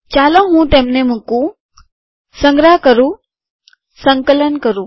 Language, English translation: Gujarati, Let me put them, save them, compile them